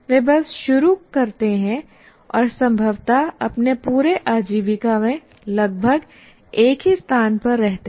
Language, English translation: Hindi, They just start and possibly almost stay at the same place throughout their career